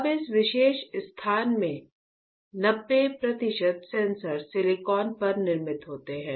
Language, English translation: Hindi, Now, in this particular space 90 percent of the sensors are fabricated on silicon on silicon